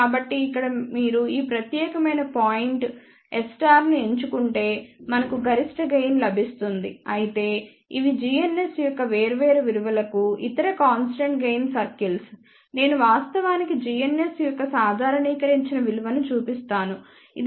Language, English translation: Telugu, So, here if you choose this particular point which is S 11 conjugate then we would get maximum gain, but these are the other constant gain circles for different value of g ns, I am actually showing normalized value of g ns which can be let us say 0